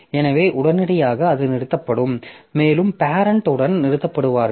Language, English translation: Tamil, So, it will terminate immediately and the parent will also terminate